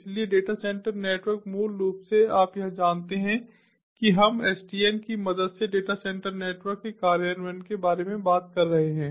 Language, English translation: Hindi, basically, you know, here we are talking about implementation of data center networks with the help of sdn